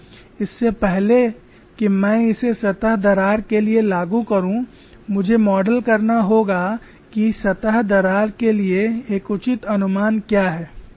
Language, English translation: Hindi, Before I apply for surface crack I have to model what is the reasonable approximation for surface cracks and that is what is shown here